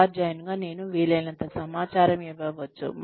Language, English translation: Telugu, As a teacher, I can be as informed as possible